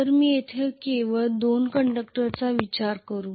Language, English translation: Marathi, So let me consider only two conductors here